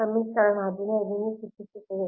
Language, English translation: Kannada, this is equation fifteen, right